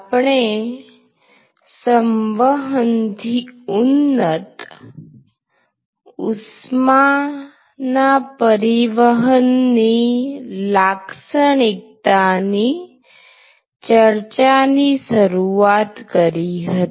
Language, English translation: Gujarati, We initiated discussion on characterizing convection enhanced heat transfer